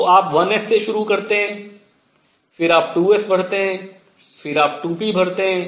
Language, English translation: Hindi, So, you start with 1 s, then you fill 2 s, then you fill 2 p